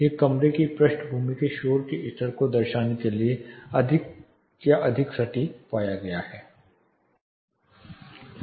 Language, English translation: Hindi, This is termed are this was found to be more or more precise in representing the background noise levels in rooms